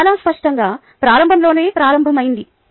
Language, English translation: Telugu, everybody, obvious, started out at the very beginning